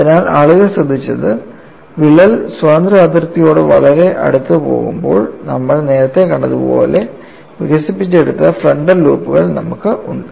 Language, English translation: Malayalam, So, what people have noted is, when the crack goes very close to the free boundary, you have the frontal loops develop like what we had seen earlier